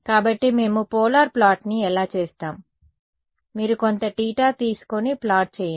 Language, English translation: Telugu, So, how do we do a polar plot, you take some theta right and plot